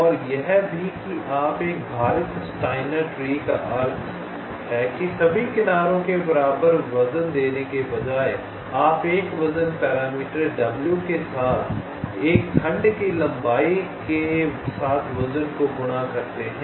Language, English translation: Hindi, a weighted steiner tree is means: instead of giving equal weights to all the edges, you multiply ah, the weight with a, the length of a segment, with a weight parameter w